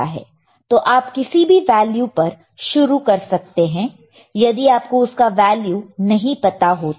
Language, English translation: Hindi, So, you can you can start at any value if you do not know the value